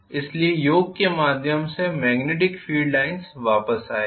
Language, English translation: Hindi, So, the Yoke through the Yoke it returns the magnetic field line return